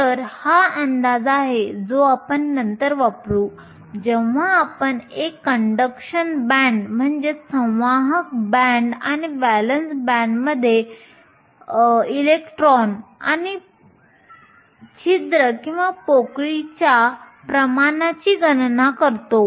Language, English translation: Marathi, So, This is the approximation which we will use later when we calculate the electron and hole concentrations in a conduction band and a valence band